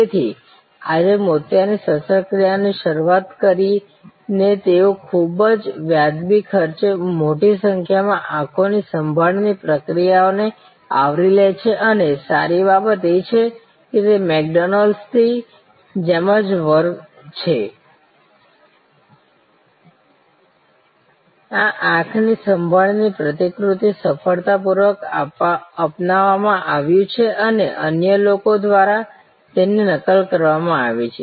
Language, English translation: Gujarati, So, starting from cataract surgery today they cover a large number of different types of eye care procedures at a very reasonable cost and the good thing it is just like McDonald's, this eye care model has been successfully replicated adopted and replicated by others